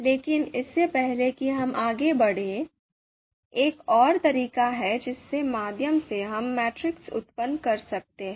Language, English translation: Hindi, So before we move ahead, there is another way through which we can generate matrix